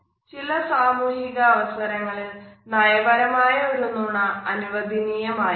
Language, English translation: Malayalam, Now there are certain social situations where a polite lie is perhaps expected